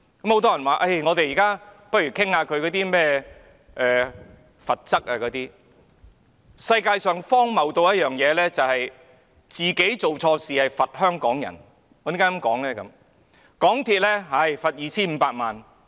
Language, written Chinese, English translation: Cantonese, 很多人建議我們現在討論針對港鐵公司的罰則，世界上最荒謬不過的是自己做錯事卻懲罰香港人，我為何這樣說呢？, Many people have suggested we now discuss the penalties to be imposed on MTRCL . Nothing can be more ridiculous than asking Hong Kong people to foot the bill for the mistakes committed by MTRCL itself . Why am I saying this?